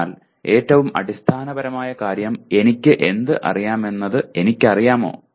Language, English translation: Malayalam, So the most fundamental thing is do I know what I know